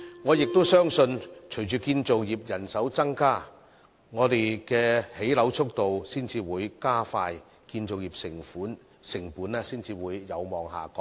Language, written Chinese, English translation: Cantonese, 我亦相信，隨着建造業人手增加，香港興建樓宇的速度才會加快，建造業成本才會有望下降。, I also believe that following the increase of manpower in the construction industry the pace of housing construction in Hong Kong will be accelerated and construction costs will hopefully be reduced